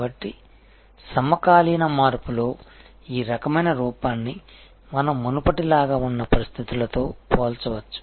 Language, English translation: Telugu, So, this kind of looks at the contemporary shift compare to the situation as we had before